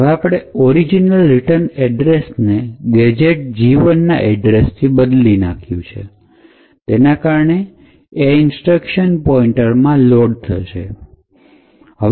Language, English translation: Gujarati, However, since we have replaced that original return address with the address of gadget 1, this address is taken and loaded into the instruction pointer